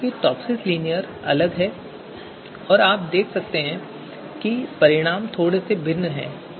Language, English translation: Hindi, However, TOPSIS linear is different and you can see the results also comes out to be different